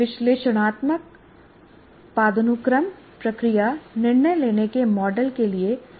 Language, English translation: Hindi, Analytic hierarchy process is another one, there is a tool based on that for decision making